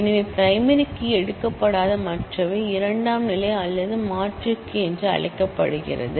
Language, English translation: Tamil, So, the others that are not taken as a primary key are called the secondary or alternate key